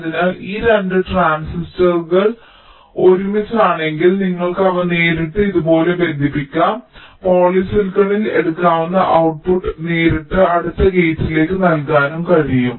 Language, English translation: Malayalam, so if these two transistors are closer together, then you can possibly connect them directly like this, and the output you can take on polysilicon so that it can be fed directly to the next gate